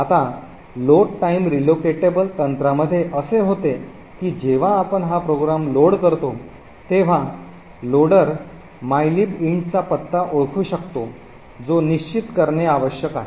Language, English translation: Marathi, Now, in the load time relocatable technique what happens is when we eventually load this program the loader would identify the address of mylib int has to be fixed